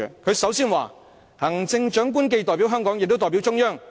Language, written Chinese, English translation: Cantonese, 他首先指出，"行政長官既代表香港，也代表中央。, He pointed out at the very beginning The Chief Executive represents both Hong Kong and the Central Government as well